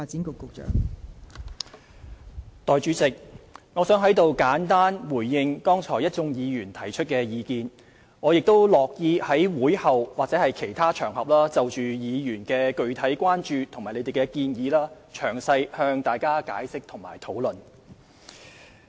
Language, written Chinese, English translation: Cantonese, 代理主席，我想在此簡單回應剛才一眾議員提出的意見，我亦樂意在會後或其他場合就議員的具體關注及建議詳細向大家解釋及討論。, Deputy President I would briefly respond to the views put forward by Members and I would be glad to explain and discuss with Members in detail on their specific concerns and proposals after the meeting or on other occasions